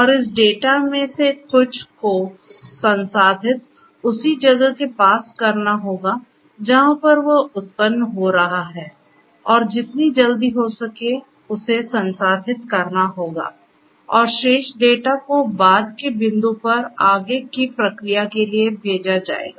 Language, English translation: Hindi, And some of this data will have to be processed as soon as or as close as possible to the point of generation and the rest of the data can be sent for further processing at a later point in time